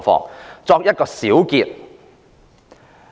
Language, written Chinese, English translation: Cantonese, 我作一個小結。, I will now give a brief summary